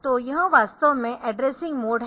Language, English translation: Hindi, So, this is that this is actually the addressing mode